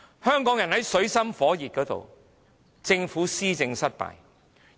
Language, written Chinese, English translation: Cantonese, 香港人在水深火熱之中，政府卻施政失敗。, When the Hong Kong people are still in dire misery the Government has failed in its administration